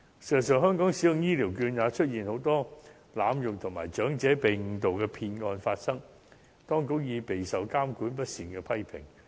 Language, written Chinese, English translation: Cantonese, 事實上，在香港使用醫療券也出現很多濫用情況，也有長者被誤導的騙案發生，當局已備受監管不善的批評。, As a matter of fact the authorities have been criticized for poor regulation on the use of Health Care Vouchers in Hong Kong from time to time as the abusive use of these vouchers is not uncommon along with cases of fraud in which some elderly persons have been misled